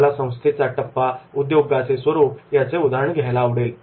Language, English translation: Marathi, I would like to take example of the stage of the organization, a nature of the industry